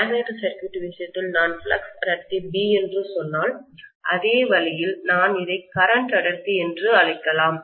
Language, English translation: Tamil, And if I say flux density B in the case of magnetic circuit, the same way I can call this as current density